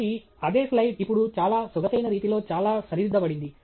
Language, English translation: Telugu, So, the same slide is now being presented in a much more elegant way with lot of things corrected